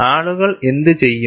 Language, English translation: Malayalam, And what do people do